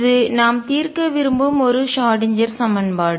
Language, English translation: Tamil, This is a Schrödinger equation that we want to solve